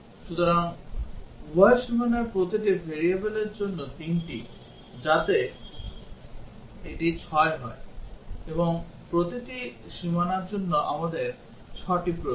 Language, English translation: Bengali, So, for each variable three at both the boundaries, so that makes it 6; and for every boundary, we need 6